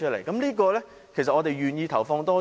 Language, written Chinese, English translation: Cantonese, 在這方面我們願意投放多少？, How much resources are we willing to allocate to this area?